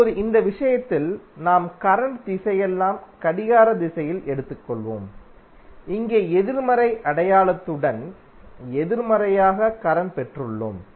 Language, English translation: Tamil, Now in this case we have taken all the current direction as clockwise, here we have got current in negative with negative sign